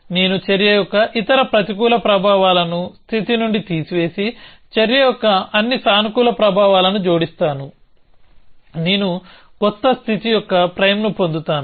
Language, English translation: Telugu, I remove everything which other negative effects of the action from the state and add all the positive effects of the action, so I get a new state s prime